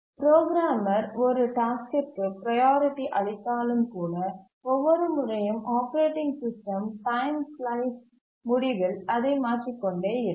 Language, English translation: Tamil, Even if the programmer assigns a priority to a task, the operating system keeps on shifting it the end of every time slice